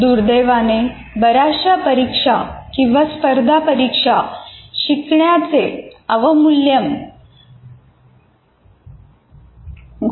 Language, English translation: Marathi, And unfortunately, many of the examinations or competitive exams reduce learning to rote learning